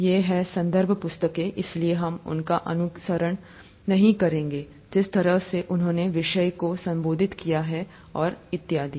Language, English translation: Hindi, These are reference books, so we won't be following them in the way they have addressed the subject and so on so forth